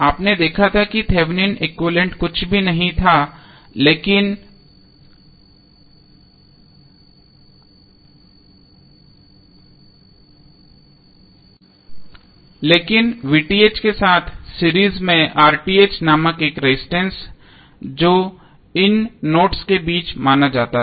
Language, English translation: Hindi, You saw that the Thevenin equivalent was nothing but V Th in series with another resistance called R Th and this was consider between two nodes